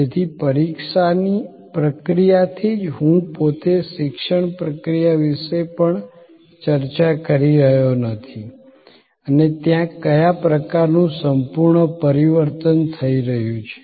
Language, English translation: Gujarati, So, right from the examination process, I am even not discussing the education process itself and what kind of radical transformation is taking place there